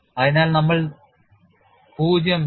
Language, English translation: Malayalam, So, at 0